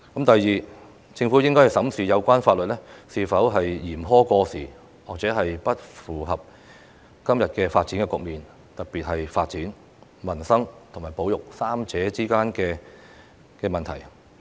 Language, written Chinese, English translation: Cantonese, 第二，政府應審視有關法律是否嚴苛過時，或不符合今天的發展局面，特別是在發展、民生和保育三者之間的問題。, Second the Government should examine whether or not the relevant laws are too harsh and outdated or they are simply not suitable for todays situation particularly in the areas of development peoples livelihood and conservation